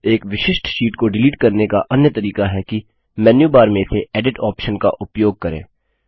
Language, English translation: Hindi, Another way of deleting a particular sheet is by using the Edit option in the menu bar